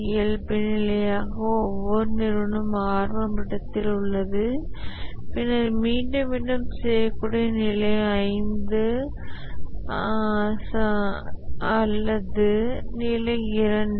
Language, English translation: Tamil, Every organization by default is at initial level and then is the repeatable level or the level two